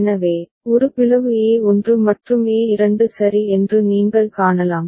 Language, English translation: Tamil, So, you can see that a has got split a1 and a2 ok